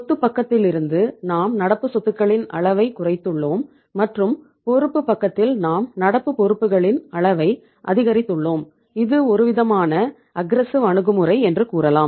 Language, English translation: Tamil, From the asset side we have reduced the level of current assets and in the liability side we have increased the level of current liabilities and in a way you can call it as this is the aggressive approach